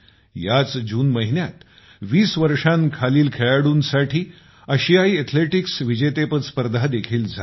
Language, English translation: Marathi, The Asian under Twenty Athletics Championship has also been held this June